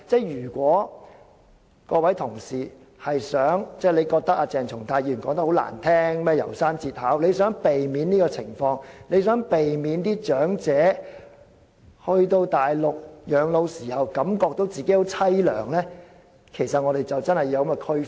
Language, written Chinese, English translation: Cantonese, 如果議員認為鄭松泰議員剛才有關"楢山節考"的發言不中聽，想避免這情況，希望長者到內地養老時不會覺得自己很淒涼，便真的要作出區分。, If Members think that Dr CHENG Chung - tais earlier speech about The Ballad of Narayama sounds unpleasant and want to avoid such cases and the feeling of misery among elderly people who spend their final years on the Mainland we must honestly draw a distinction